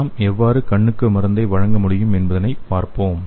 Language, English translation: Tamil, So let us see how we can deliver the drug to the eye